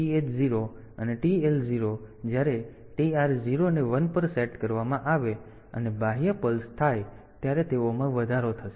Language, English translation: Gujarati, So, TH 0 and TL 0 they will be incremented when TR 0 is set to 1, and an external pulse occurs